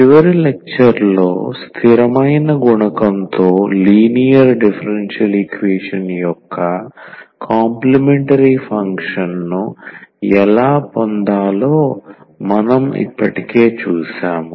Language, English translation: Telugu, So, in the last lecture, we have already seen that how to get complementary function of the differential equation of the linear differential equation with constant coefficient